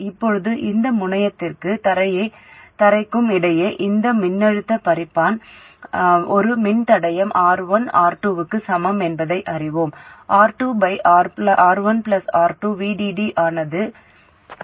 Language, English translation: Tamil, Now we know that between this terminal and ground, this voltage divider is equal into a resistor R1 parallel R2 in series with the feminine source, which is VDD times R2 by R1 plus R2